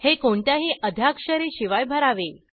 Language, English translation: Marathi, These are to be filled without any initials